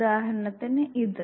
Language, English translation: Malayalam, For instance this one